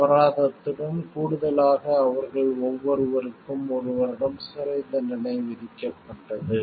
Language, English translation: Tamil, In addition to fines they were also each sentenced to one year in jail however